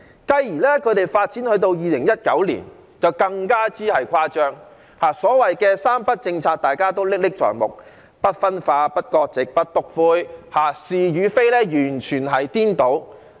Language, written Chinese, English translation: Cantonese, 繼而發展至2019年，他們就更加誇張，所謂的"三不"政策，"不分化、不割席、不篤灰"，大家仍歷歷在目，完全顛倒是非。, They became more ridiculous after stepping into 2019 . Their so - called three nos policy of no division no severing ties and no snitching which completely confounds right and wrong is still vivid in our mind